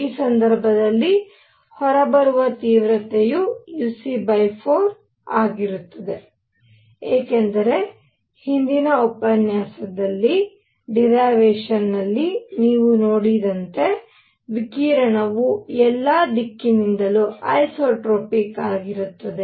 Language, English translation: Kannada, In this case, the intensity coming out becomes uc by 4 because the radiation is isotropic its coming from all direction as you saw in the derivation in the previous lecture